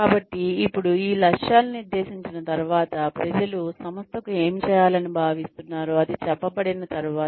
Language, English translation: Telugu, So now, once these targets have been set, once people have been told, what they are expected to be doing